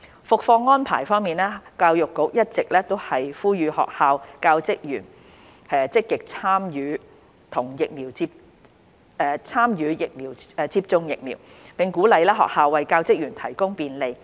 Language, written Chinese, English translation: Cantonese, 復課安排教育局一直呼籲學校教職員積極參與接種疫苗，並鼓勵學校為教職員提供便利。, Arrangements for class resumption The Education Bureau has been encouraging teachers and staff of schools to get vaccinated and encouraging schools to provide them with facilitation